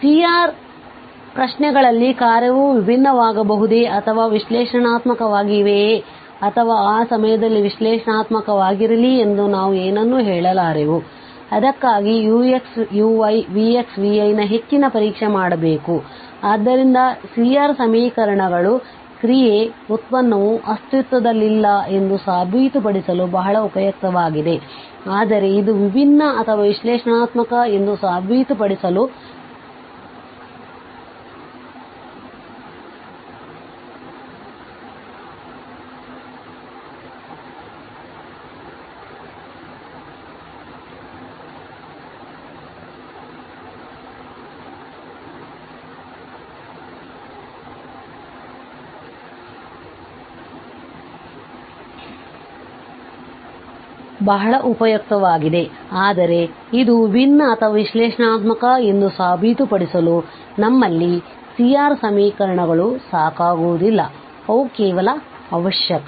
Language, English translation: Kannada, So, if the C R questions hold then we cannot say anything whether the function will be differentiable or analytic at that point or it is not analytic at that point for that we have to go for the further test that is the continuity of this u x u y v x v y and so this C R equations are very useful for proving that the function, the derivative does not exist, but for proving that it is differentiable or analytic we have the C R equations are not sufficient, they are just necessary